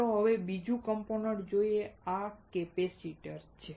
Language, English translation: Gujarati, Now, let us see another component, this is a capacitor